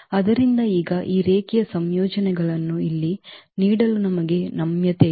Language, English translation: Kannada, So now, we have the flexibility to give this linear combinations here